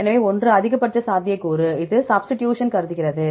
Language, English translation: Tamil, So, one is the maximum likelihood, this is the one which considers the substitutions